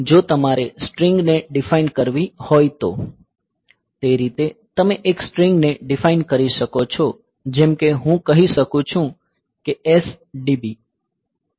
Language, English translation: Gujarati, So, that way if you have to define a string; so, you can define a string like say I can say like S DB hello